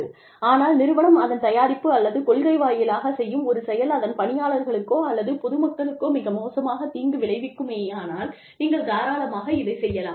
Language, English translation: Tamil, But, you can do it, if the firm, through its product or policy, is likely to do serious and considerable harm, to employees or to the public